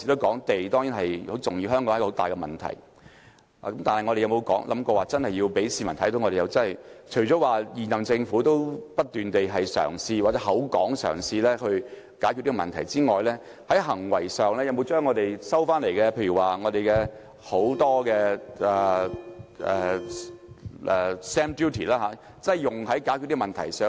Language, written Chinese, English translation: Cantonese, 但是，我們有否想過，我們真要讓市民看到，除了現任政府不斷嘗試或口說嘗試解決這個問題外，當局在行為上有否將我們收到的很多 stamp duty 用於解決這個問題？, However have we ever thought that we really need to demonstrate this to the public . Apart from constantly attempting or verbally attempting to resolve the problem has the incumbent Government taken any concrete actions like utilizing the substantial revenue from stamp duty on tackling the problem?